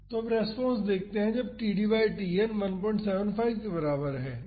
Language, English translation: Hindi, Now, let us see the response for td by Tn is equal to 1